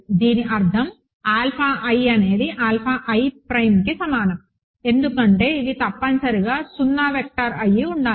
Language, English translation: Telugu, Alpha i is equal to alpha i prime because these are this must be the 0 vector